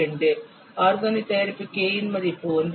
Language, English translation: Tamil, 2 the for organic product the value of k is 1